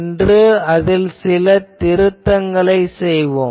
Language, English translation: Tamil, But today, we will make certain correction to that